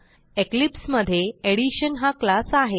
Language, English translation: Marathi, In eclipse, I have a class Addition